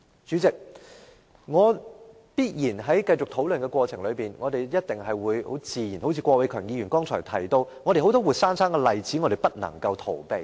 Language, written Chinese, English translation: Cantonese, 主席，在繼續討論的過程中，正如剛才郭偉强議員提到，社會上必然有很多活生生的例子是我們無法逃避的。, President as we continue with this discussion and as Mr KWOK Wai - keung mentioned earlier there are certainly many live examples in society that we can hardly evade